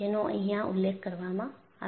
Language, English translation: Gujarati, That is what is mentioned here